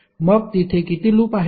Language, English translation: Marathi, So how many loops are there